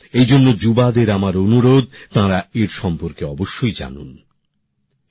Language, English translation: Bengali, That is why I urge our youngsters to definitely know about him